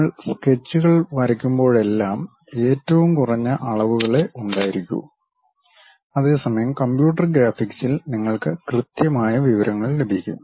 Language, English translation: Malayalam, Whenever you are drawing sketches there always be least count whereas, at computer graphics you will have precise information